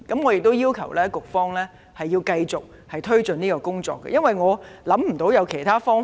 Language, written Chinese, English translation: Cantonese, 我要求局方繼續推進有關工作，因為我也想不到其他方法。, I request the Administration to continue to take forward the relevant work because I cannot come up with any alternative methods as well